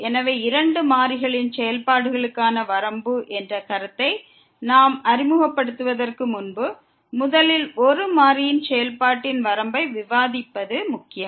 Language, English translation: Tamil, So, we recall now before we introduce the limit the concept of the limit for the functions of two variables, it is important to first discuss the limit of a function of one variable